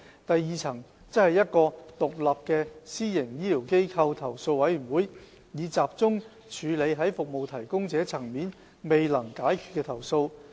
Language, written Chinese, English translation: Cantonese, 第二層則為一個獨立的私營醫療機構投訴委員會，以集中處理在服務提供者層面未能解決的投訴。, An independent committee on complaints against PHFs will be established at the second - tier which will look into complaints unresolved at service delivery level by the PHFs concerned